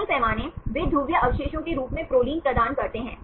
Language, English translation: Hindi, Many scales, they assign proline as polar residues